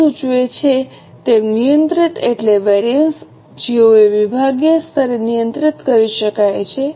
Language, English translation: Gujarati, As the name suggests, controllable means those variances which can be controlled at a departmental level